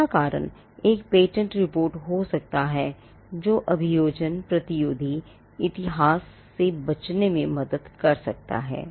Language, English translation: Hindi, The 4th reason could be a patentability report can help in avoiding what is called prosecution history estoppel